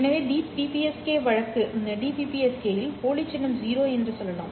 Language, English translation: Tamil, So for the BPSK case let us say the dummy symbol is zero